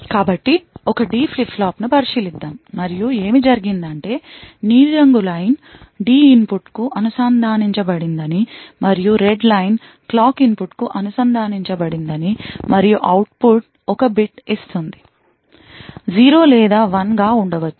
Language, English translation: Telugu, So, let us consider a D flip flop and what is done is that one of the lines let us say the blue line is connected to the D input and the Red Line is connected to the clock input and output is one bit which will give you either 0 or a 1